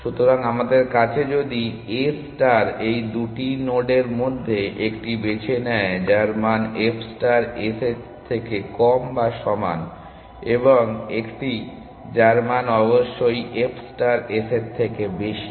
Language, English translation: Bengali, So, we it has if a star also choose between these 2 nodes 1 whose value is less than or equal to f star s and one whose value is definitely greater than f star s